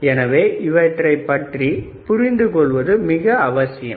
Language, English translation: Tamil, So, very important you had to understand